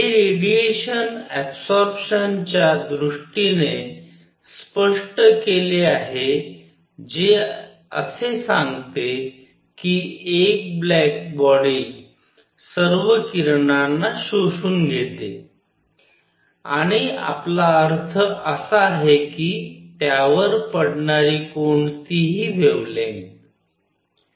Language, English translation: Marathi, This is explained in terms of absorption of radiation which says that a black body absorbs all the radiation; and by that we mean any wavelength falling on it